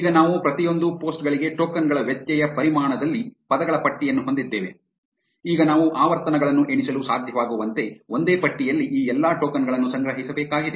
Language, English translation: Kannada, Now, we have a list of words in the tokens variable for each of the posts; now we need to collect all these tokens in a single list to be able to count the frequencies